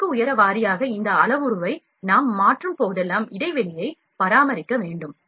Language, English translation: Tamil, Whenever we change this parameter of the position of layer height wise, then we need maintain the gap as well